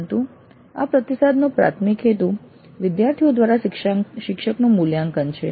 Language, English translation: Gujarati, But the primary purpose of this feedback is faculty evaluation by the students